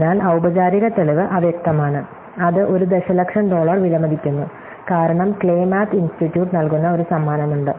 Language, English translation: Malayalam, So, formal proof is elusive and is worth a million dollars, because there is a price given by the Clay Math Institute